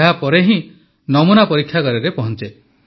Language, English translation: Odia, After that the sample reaches the lab